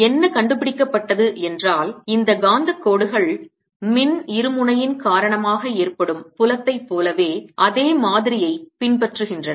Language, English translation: Tamil, what is found is that these magnetic lines pretty much follow the same pattern as the field due to an electric dipole